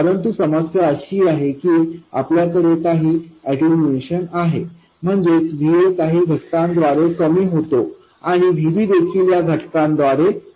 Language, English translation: Marathi, But the problem is that we have some attenuation, that is, VA is reduced by some factor and VB is also reduced by this factor